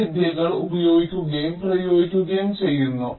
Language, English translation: Malayalam, so these techniques are used and practiced